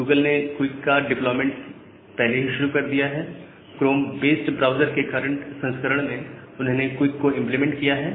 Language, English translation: Hindi, Google has already started a deployment of QUIC, and the current version of chromium based browsers, they have the implementation of QUIC